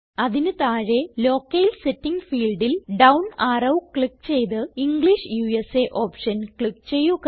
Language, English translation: Malayalam, Below that click on the down arrow in the Locale setting field and then click on the English USA option